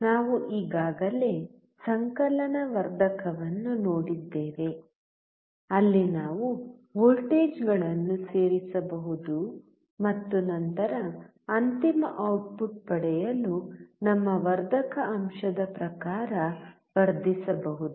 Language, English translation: Kannada, We have already seen the summation amplifier, where we can add the voltages and then we can amplify according to our amplification factor to get the final output